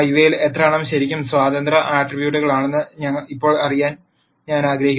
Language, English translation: Malayalam, Now, I want to know how many of these are really independent attributes